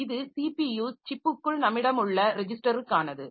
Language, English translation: Tamil, So, this is for the registers that we have inside the CPU chip